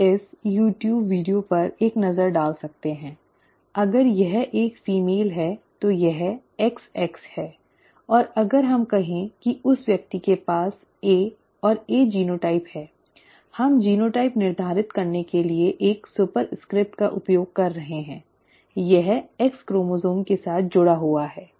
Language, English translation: Hindi, You can take a look at this youtube video, if it is a female it is XX and let us say that the person has A and A A and A genotype there, we are using a superscript to determine the genotype, that is associated with the X chromosome